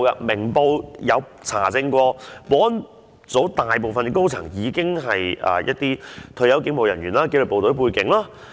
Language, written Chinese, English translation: Cantonese, 《明報》有查證過，物業及保安組大部分高層都是一些退休警務人員或具紀律部隊背景。, As verified by Ming Pao most of the senior staff in the Estate and Security Office are retired police officers or have disciplined services background